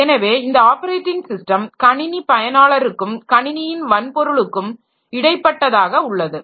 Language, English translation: Tamil, So, this operating system is an intermediary between a user of a computer and the computer hardware